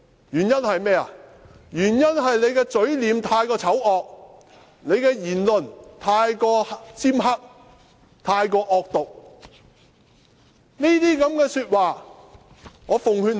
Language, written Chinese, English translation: Cantonese, 原因是他的嘴臉太過醜惡，他的言論太過尖刻，太過惡毒。, Because his expression is too horrible and his speech too harsh too vicious